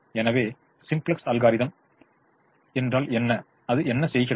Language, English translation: Tamil, so what does simplex algorithm do